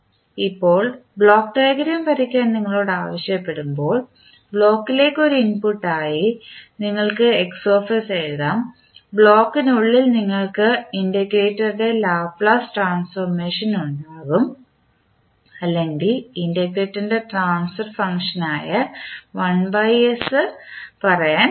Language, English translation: Malayalam, Now, when you are asked to find, to draw the block diagram you can simply write Xs as an input to the block, within the block you will have integrator the Laplace transform of the integrator or you can say the transfer function related to integrator that will be 1 by s into Ys